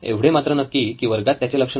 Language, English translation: Marathi, But he is not focused on the class